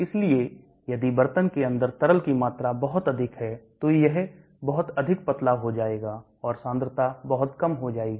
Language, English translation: Hindi, So if the quantity of liquid inside the pot is very large, it will get diluted too much and the concentration will be very low